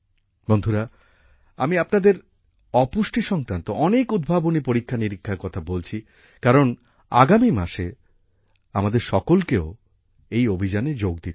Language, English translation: Bengali, Friends, I am telling you about so many innovative experiments related to malnutrition, because all of us also have to join this campaign in the coming month